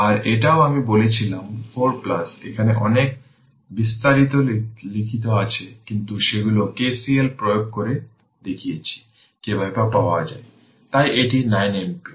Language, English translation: Bengali, And this one also I told you, 4 plus here much detail in written, but they are K C L we applied and showed you how to get it; so this is 9 ampere